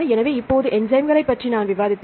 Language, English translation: Tamil, So, now, I discussed about the enzymes right